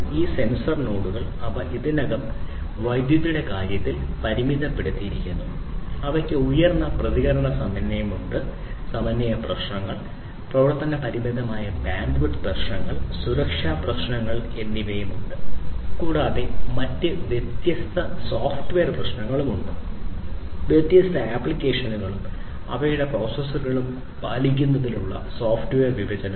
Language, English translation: Malayalam, These sensor nodes, they themselves are already limited in terms of power, they have very high response time and there are synchronization issues, issues of limited bandwidth of operation, security issues are also there and there are different other software issues such as the issue of software partitioning for complying with different applications and their different processors in them